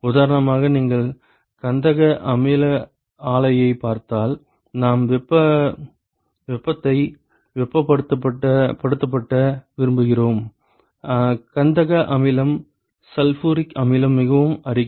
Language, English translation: Tamil, For example, if you look at sulphuric acid plant, we want to heat the heat sulphuric acid sulphuric acid is very corrosive